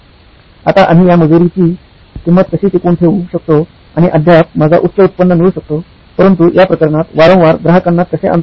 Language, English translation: Marathi, Now how might we retain this labour cost and yet have my high revenue, yet bring the customer more often in this case